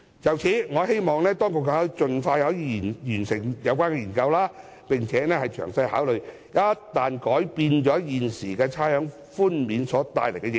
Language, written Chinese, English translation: Cantonese, 就此，我希望當局可以盡快完成有關研究，並詳細考慮一旦改變現時差餉寬免安排所帶來的影響。, In this connection I hope that the Government will complete the study as soon as possible and consider in detail the impacts of changing the current arrangements for rates concession